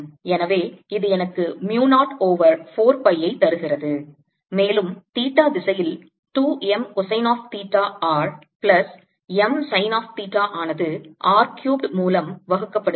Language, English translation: Tamil, so this gives me mu naught over four pi and i have two m cosine of theta r plus m sine of theta in theta direction divided by r cubed